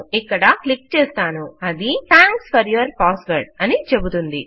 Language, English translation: Telugu, Let me click here and it says thanks for your password